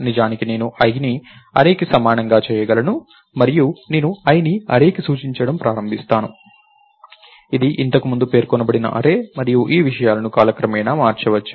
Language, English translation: Telugu, So, in fact I can do i equals array and i would start pointing to the array, which array was pointing to earlier and these things can be changed over time